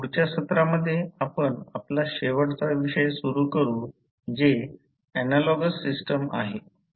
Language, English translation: Marathi, In the next session we will start our last topic that is the analogous system